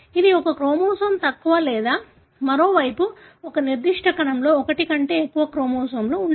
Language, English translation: Telugu, It is one chromosome less or on the other hand, a particular cell may have more than one chromosome